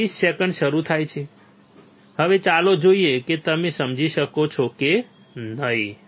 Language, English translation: Gujarati, 20 seconds starts now let us see whether you can understand or not